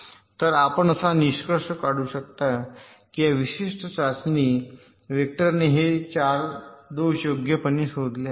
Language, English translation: Marathi, so you can conclude that this particular test vector detects these four faults right